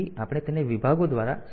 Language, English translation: Gujarati, we will explain it by parts